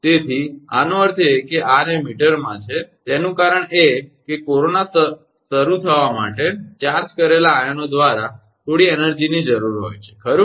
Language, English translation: Gujarati, So; that means, r is that in meter and the reason is that some energy is required by the charged ions to start corona, right